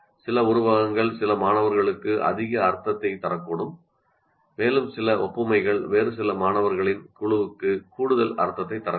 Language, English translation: Tamil, Some simile may make more sense to some students and some other analogy may make more sense to some other group of students